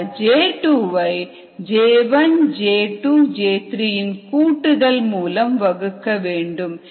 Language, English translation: Tamil, so j two by j one, j two plus j three